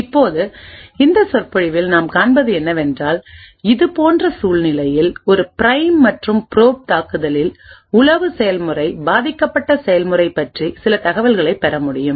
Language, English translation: Tamil, Now what we will see in this lecture is that in a prime and probe attack in situation such as this it is possible for the spy process to gain some information about the victim process